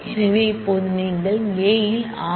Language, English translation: Tamil, So, we say this is A C